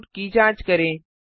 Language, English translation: Hindi, Check the output